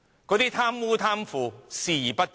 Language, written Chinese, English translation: Cantonese, 它對貪污、貪腐視而不見。, It turns a blind eye to bribery and corruption